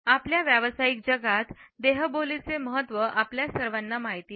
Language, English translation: Marathi, All of us are aware of the significance of body language in our professional world